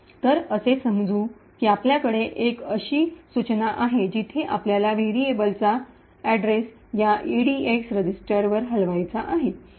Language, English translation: Marathi, So let us say that we have an instruction like this where we want to move the address of a variable to this register EDX